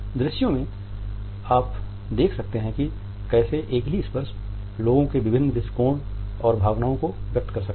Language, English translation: Hindi, In the visuals you can look at how the same touch can convey different attitudes and emotions to people